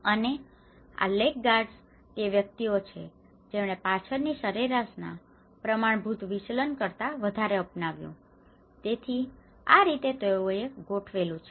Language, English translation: Gujarati, And the laggards are those individuals who adopted later than one standard deviation of the mean so, this is how they configured